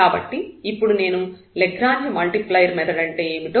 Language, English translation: Telugu, So, let me just explain that what is the method of Lagrange multiplier